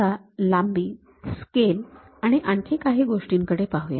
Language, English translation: Marathi, Let us look at more about these lengths scales and other things